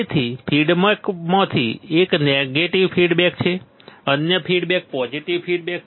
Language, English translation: Gujarati, So, one of the feedback is negative feedback another feedback is positive feedback